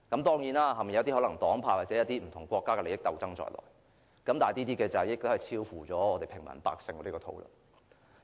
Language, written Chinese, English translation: Cantonese, 當然，背後可能牽涉一些黨派或不同國家的利益鬥爭在內，但已超乎我們平民百姓的討論範圍。, Of course it may involve the conflict of interests among certain political parties or groupings or even some countries but that is beyond the scope of discussion of ordinary people like us